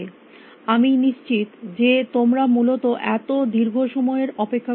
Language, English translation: Bengali, I will sure you are not willing to wait for so, long essentially